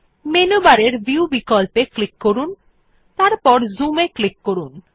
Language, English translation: Bengali, Click on the View option in the menu bar and then click on Zoom